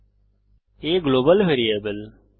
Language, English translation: Bengali, What is a Global variable